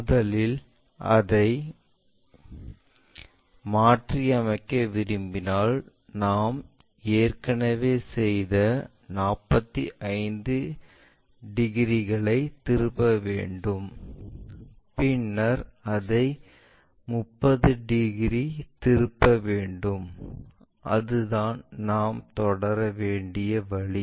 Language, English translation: Tamil, If we want to reverse it first we have to flip that 45 degrees which we have already done then we have to turn it by 30 degrees, that is the way we have to proceed